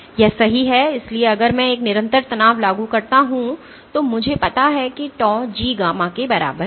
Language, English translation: Hindi, So, that is right So, if I apply a constant stress I know tau is equal to G gamma